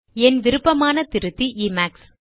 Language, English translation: Tamil, My favorite editor is Emacs